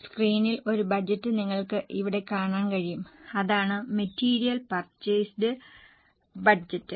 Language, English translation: Malayalam, On the screen you are able to see one budget I know, that is material purchase budget